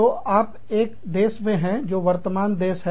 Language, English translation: Hindi, So, you are in country A, which is the parent country